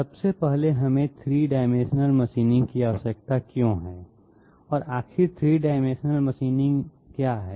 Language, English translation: Hindi, First of all why do we require 3 dimensional machining and what is 3 dimensional machining after all